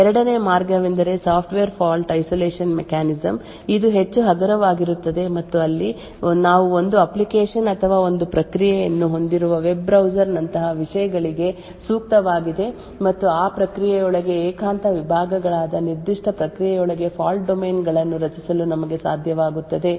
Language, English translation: Kannada, The second way is the Software Fault Isolation mechanism which is far more lightweight and suitable for things like the web browser where we have one application or one process and we are able to create fault domains within that particular process which are secluded compartments within that process